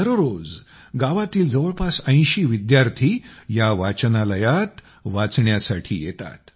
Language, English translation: Marathi, Everyday about 80 students of the village come to study in this library